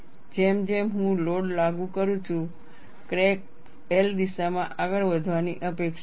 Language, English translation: Gujarati, I have the crack here; as I apply the load, the crack is expected to advance in the L direction